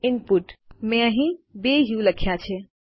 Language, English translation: Gujarati, Input I typed 2 us here